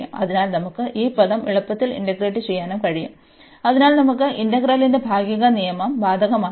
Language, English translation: Malayalam, So, we can easy integrate this term, and differentiate this term, so we can apply the rule of partial of integral by parts